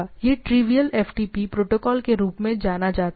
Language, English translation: Hindi, So, it is a for known as trivial FTP protocol